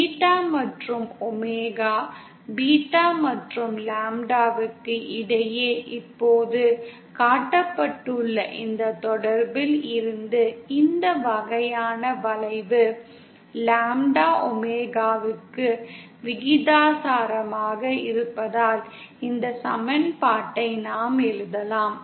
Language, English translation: Tamil, Now this kind of curve as from this relationship that is showed just now between beta and omega, beta and lambda since lambda is proportional to omega, we can write this equation